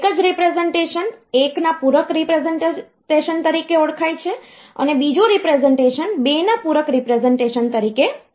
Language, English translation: Gujarati, One representation is known as 1’s complement representation and the other representation is known as 2’s complement representation